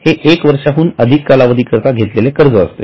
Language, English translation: Marathi, So these are the loans taken for more than 1 year